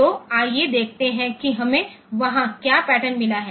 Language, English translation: Hindi, So, let us see what pattern we have got there